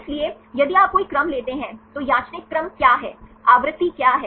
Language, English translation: Hindi, So, if you take any sequence, what is a random sequences, what is the frequency